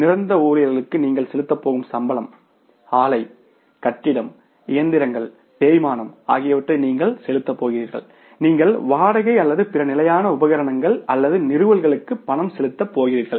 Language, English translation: Tamil, You are going to pay the plant building and machinery depreciation, you are going to pay the salaries of the permanent employees, you are going to pay for the other rent of the building and other fixed equipments or installations